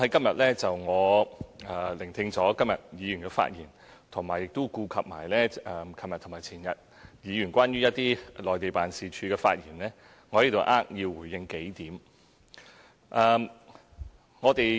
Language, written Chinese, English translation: Cantonese, 我在聆聽議員今天的發言後，並顧及昨天和前天議員就駐內地辦事處的發言，我在此扼要回應數點。, After listening to Members speeches today and taking into account the speeches made by Members on our Mainland offices yesterday and the day before here I will briefly respond to a few points